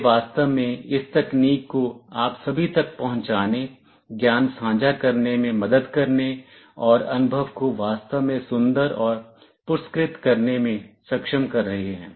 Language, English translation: Hindi, They have been actually enabling this technology to reach all of you, helping in sharing the knowledge, and making the experience really beautiful and rewarding